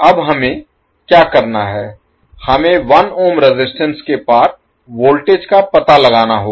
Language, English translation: Hindi, Now, what we have to do, we need to find out the voltage across 1 ohm resistance